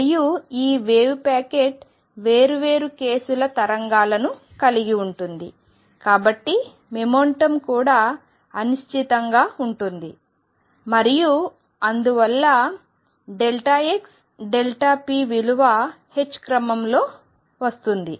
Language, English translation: Telugu, And this wave packet carries waves of different case so there is momentum also is uncertain and therefore, delta p delta x comes out to be of the order of h